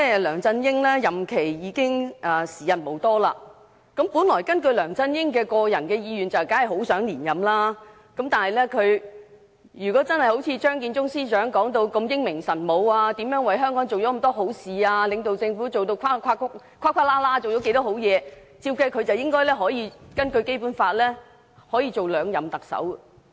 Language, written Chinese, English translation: Cantonese, 梁振英已經時日無多，本來根據他個人的意願，當然很想連任，但如果他真的好像張建宗司長說的如此英明神武、為香港做了許多好事，又領導政府做了值得讚賞的好事，他理應可以根據《基本法》擔任兩任特首。, There is not much time left before LEUNG Chun - yings departure . Initially LEUNG certainly wished to seek for re - election . If LEUNG Chun - ying was really so brilliant had done so many good things for Hong Kong and led the Government to make commendable achievements as claimed by the Chief Secretary he should be able to serve as the Chief Executive for the second term in accordance with the Basic Law